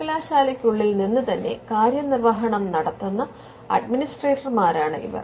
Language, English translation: Malayalam, Now, these are administers administered from within the university itself